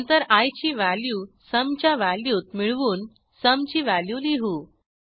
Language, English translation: Marathi, Then we calculate the sum by adding value of i to value of sum